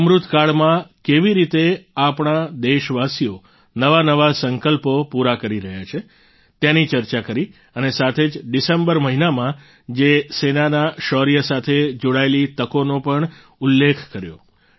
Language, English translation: Gujarati, We discussed how our countrymen are fulfilling new resolutions in this AmritKaal and also mentioned the stories related to the valour of our Army in the month of December